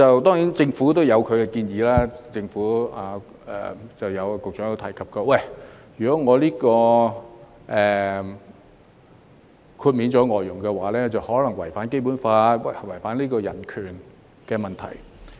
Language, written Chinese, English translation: Cantonese, 當然，政府有其見解，局長亦曾提及，如果豁除外傭可能違反《基本法》，出現違反人權的問題。, Of course the Government has its own view . As remarked by the Secretary previously the exclusion of FDHs may violate the Basic Law and human rights